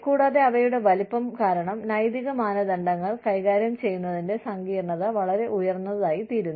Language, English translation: Malayalam, And, because of their sheer size, the complexity of managing ethical standards, becomes very high